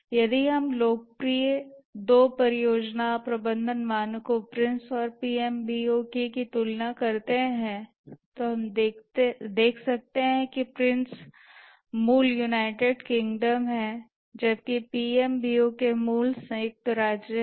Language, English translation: Hindi, If we compare two popular project management standards, the Prince and the PMB, we can see that the Prince is the origin is United Kingdom whereas the PMBOK, the origin is United States